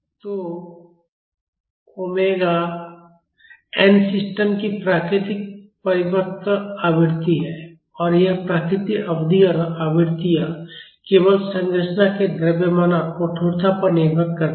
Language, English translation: Hindi, So, omega n is the natural circular frequency of the system, and this natural period and frequencies depend only on the mass and stiffness of the structure